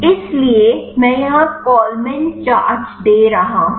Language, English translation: Hindi, So, I am giving here Kollman charges